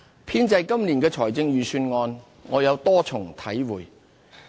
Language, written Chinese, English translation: Cantonese, 編製今年的預算案，我有多重體會。, The preparation of this years Budget has enlightened me in many ways